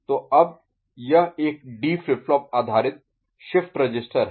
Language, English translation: Hindi, So, then now this is a D flip flop based shift register